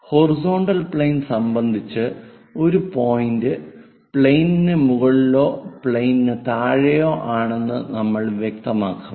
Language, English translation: Malayalam, With respect to that horizontal plane, we will talk about above the plane or below the plane